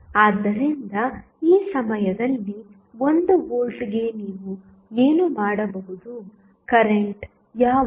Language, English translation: Kannada, So, what you can right at this point for 1 volt what would be the current